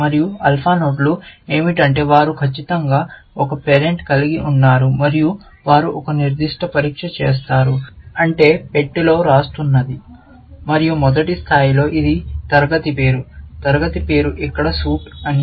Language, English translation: Telugu, And what alpha nodes do is that they have exactly, one parent and they do a certain test, and the test is what we are writing in the box, and in the first level, it is a class name; that the class name is suit here